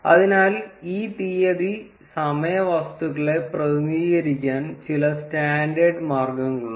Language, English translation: Malayalam, So, there are some standard ways to represent these date time objects